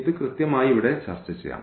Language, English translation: Malayalam, So, what exactly this let us discuss here